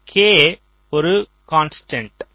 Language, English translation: Tamil, so this k is a constant